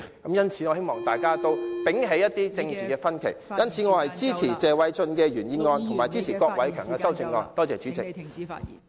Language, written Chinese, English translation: Cantonese, 我希望大家摒棄政治分歧......因此，我支持謝偉俊議員的原議案及郭偉强議員的修正案。, I hope that we can set aside our political differences As such I support Mr Paul TSEs original motion and Mr KWOK Wai - keungs amendment